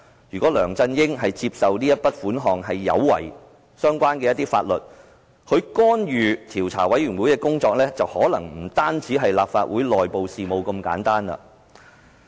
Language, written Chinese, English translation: Cantonese, 如果梁振英接受這筆款項有違相關法律，他就是干預專責委員會的工作，可能不單是干預立法會內部事務那麼簡單。, If LEUNG Chun - yings acceptance of this amount of money has violated the relevant laws he has interfered with the work of the Select Committee and it is not simply that he has interfered with the internal affairs of the Legislative Council